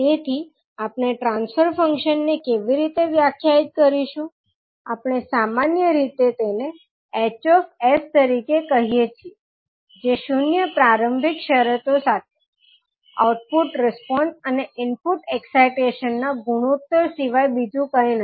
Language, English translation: Gujarati, So, how we will define the transfer function transfer function, we generally call it as H s, which is nothing but the ratio of output response to the input excitation with all initial conditions as zero